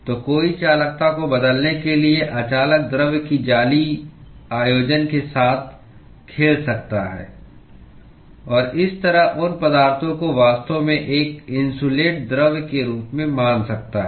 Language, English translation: Hindi, So, one can play with the lattice arrangement of the non conducting material in order to change the conductivity, and thereby consider those materials as actually an insulating material